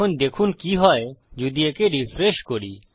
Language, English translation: Bengali, Now watch what happens if I refresh this